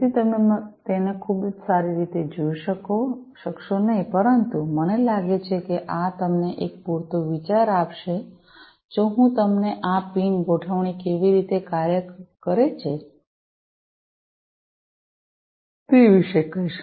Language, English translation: Gujarati, So, you not be able to see it very well, but I think this will give you a fair enough idea, if I tell you about how this pin configuration works